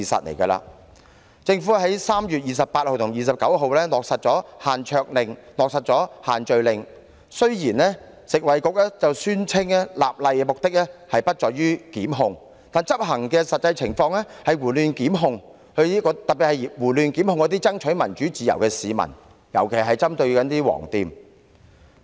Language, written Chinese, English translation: Cantonese, 當局在3月28日及29日落實推行限桌令和限聚令，雖然食物及衞生局表示立例目的不在於檢控，但實際執行情況卻是胡亂作出檢控，特別是胡亂檢控爭取民主自由的市民，特別針對"黃店"。, When a decision was made on 28 and 29 March to implement the dining table and social gathering restrictions although the Food and Health Bureau claimed that the legislative exercise did not seek to initiate prosecutions charges have been made arbitrarily in actual enforcement especially prosecutions were instituted indiscriminately against people fighting for democracy and freedom with yellow shops being particularly targeted